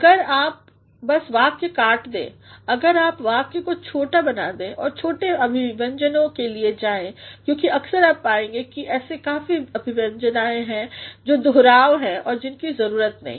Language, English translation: Hindi, If you simply cut the sentence, if you make the sentence short and go for the short expressions, because at times you will find that there are many expressions which are just repetitions and which are needless